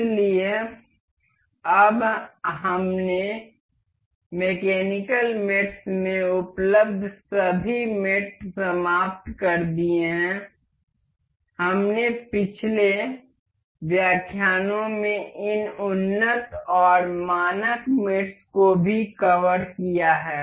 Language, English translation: Hindi, So, now we have finished all the mates available in mechanical mates, we have also covered this advanced and standard mates in previous lectures